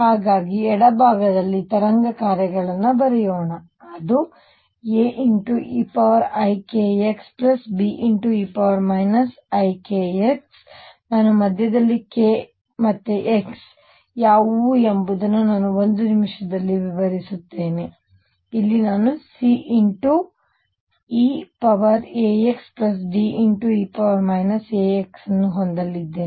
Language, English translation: Kannada, So, let us write the wave functions on the left I am going to have a e raise to i k x plus B e raise to minus i k x i will define in a minute what k x are in the middle here I am going to have c e raise to alpha x plus D e raise to minus alpha x